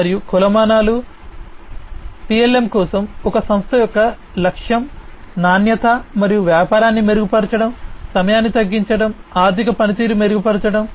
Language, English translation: Telugu, So, objectives and metrics, the objective of a company for PLM is to improve the quality and business, reduce the time, improve the financial performance